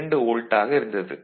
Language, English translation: Tamil, 5 volt that makes 2